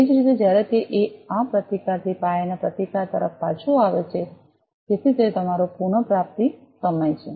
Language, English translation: Gujarati, Similarly, when it comes back from this resistance to the base resistance so that is your recovery time